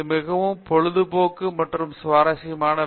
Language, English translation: Tamil, It is a very entertaining and interesting job